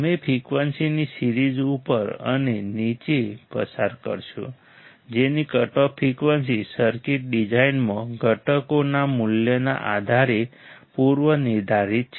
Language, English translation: Gujarati, You will pass above and below a range of frequency whose cutoff frequencies are predetermined depending on the value of components in the circuit design